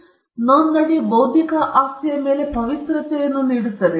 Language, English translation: Kannada, So registration confers sanctity over the intellectual property right